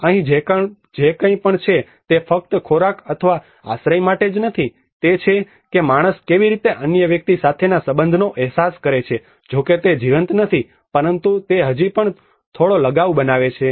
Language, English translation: Gujarati, So here whatever it is not just only for the food or the shelter it is how a man makes a sense of belonging with other individual though it is not a living being but he still makes some attachment